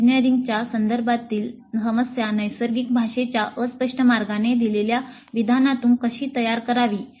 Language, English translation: Marathi, How do we formulate the problem in engineering terms from the statement given in a fuzzy way using natural language